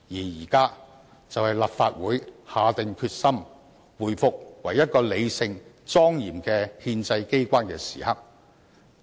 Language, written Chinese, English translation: Cantonese, 現在就是立法會下定決心，回復為一個理性、莊嚴的憲制機關的時刻。, Now is time for the Council to make up its mind to revert to being a rational and solemn constitutional organ